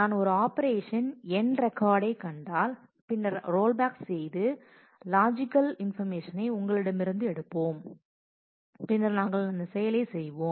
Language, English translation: Tamil, If I find an operation end record, then to rollback we will pick up the logical undo information from you and we will perform that operation